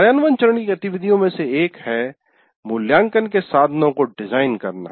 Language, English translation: Hindi, Now come in the implement phase, one of the activities is designing assessment instruments